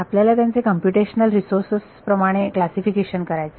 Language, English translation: Marathi, You want to classify them in terms of computational resources